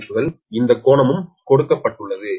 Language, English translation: Tamil, right, this angle is also given